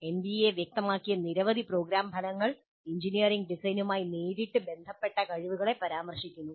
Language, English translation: Malayalam, Several program outcomes specified by NBA refer to competencies that are related directly to engineering design